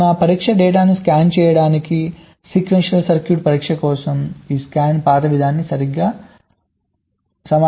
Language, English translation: Telugu, so this is exactly similar to this scan path approach for sequential circuit testing to scan in our test data like this